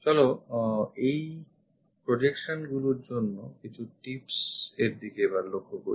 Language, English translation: Bengali, Let us look at few tips for these projections